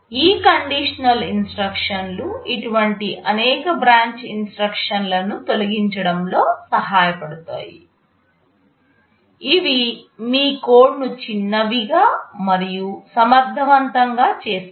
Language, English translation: Telugu, These conditional instructions can help in eliminating many such branch instructions make your code shorter and more efficient